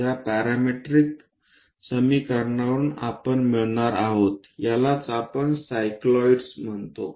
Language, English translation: Marathi, We are going to get from this parametric equations, that is what we call cycloids